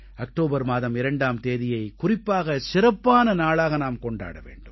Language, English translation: Tamil, Let us celebrate 2nd October as a special day